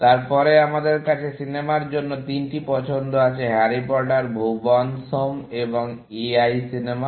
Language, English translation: Bengali, Then, we have the three choices for the movie, Harry Potter, Bhuvan’s Home and A I, the movie